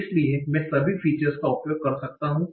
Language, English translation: Hindi, So I can use all the features